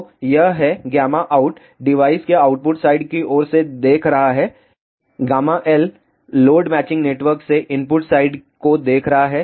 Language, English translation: Hindi, So, this is gamma out looking from the output side of the device gamma l is looking at the input side from the load matching networks